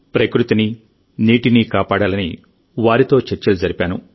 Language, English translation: Telugu, At the same time, I had a discussion with them to save nature and water